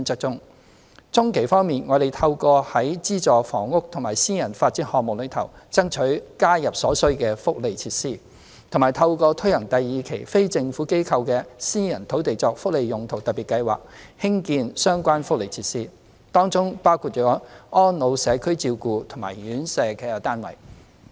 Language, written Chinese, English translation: Cantonese, 中期方面，我們透過在資助房屋及私人發展項目中，爭取加入所需福利設施，以及透過推行第二期非政府機構的"私人土地作福利用途特別計劃"，興建相關福利設施，當中包括安老社區照顧及院舍服務的單位。, As for the medium - term strategy we are striving for the inclusion of required welfare facilities in subsidized housing and private development projects as well as the construction of relevant welfare facilities including units for the provision of elderly community care and residential care services through the launch of Phase Two of the Special Scheme on Privately Owned Sites for Welfare Uses for non - governmental organizations